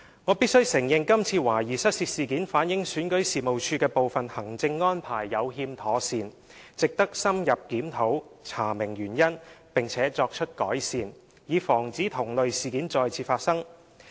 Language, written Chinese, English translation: Cantonese, 我必須承認這次懷疑失竊事件反映選舉事務處的部分行政安排有欠妥善，值得深入檢討、查明原因，並作出改善，以防止同類事件再次發生。, I must admit that the suspected theft shows that some of the administrative arrangements with REO are less than desirable . It is necessary to conduct an in depth review of the incident so as to find out its causes and make improvements to prevent the occurrence of similar cases